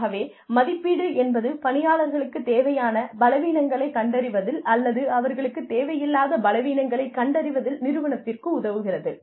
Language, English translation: Tamil, So, the assessment phase, essentially is, helps organizations determine weaknesses, they need, or determine the weaknesses, they have not need